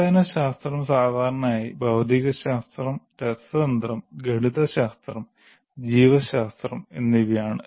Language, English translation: Malayalam, Basic sciences normally constitute physics, chemistry, mathematics, biology, such things